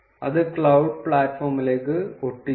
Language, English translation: Malayalam, And paste it to the cloud platform